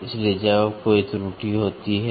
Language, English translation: Hindi, So, when there is an error